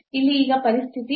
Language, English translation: Kannada, So, here one now the situation is different